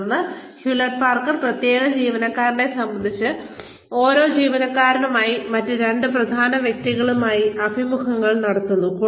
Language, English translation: Malayalam, Then, Hewlett Packard also conducts interviews, with two significant others, for every employee, regarding the specific employee